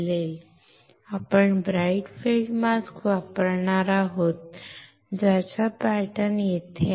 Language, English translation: Marathi, Now, we will be using the bright field mask with the pattern which are similar to what is here